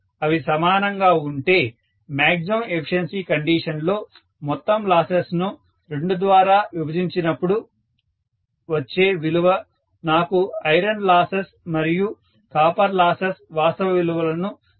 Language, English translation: Telugu, If they are equal I should have the total loses whatever occurs at maximum efficiency condition divided by 2 will give me the actual losses of iron and copper